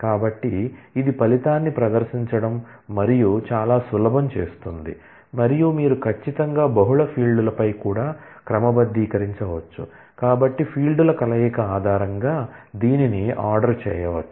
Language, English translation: Telugu, So, that makes the presentation of the result of and very easy and you can certainly sort on multiple fields as well, so it can be ordered based on combination of fields